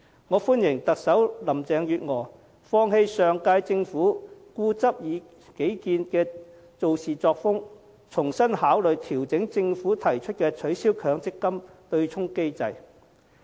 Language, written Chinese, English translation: Cantonese, 我歡迎特首林鄭月娥放棄上屆政府固執己見的處事作風，重新考慮調整政府提出的取消強積金對沖機制的建議。, I welcome Chief Executive Carrie LAMs abandonment of the obstinate approach in handling things adopted by the previous term of Government revisiting the possibility of fine - tuning the Governments proposal of abolishing the MPF offsetting mechanism